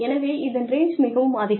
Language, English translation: Tamil, So, the range is large